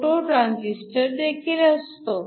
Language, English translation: Marathi, You could also have a photo transistor